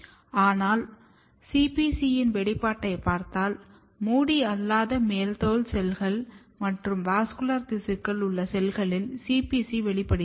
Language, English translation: Tamil, But if we look the expression of CPC; CPC is expressed in the cells which are non hair epidermis cells and the vascular tissue